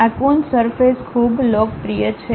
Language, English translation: Gujarati, These Coons surfaces are quite popular